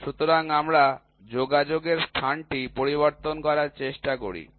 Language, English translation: Bengali, So, we try to change the contacting point, we try to change the contacting point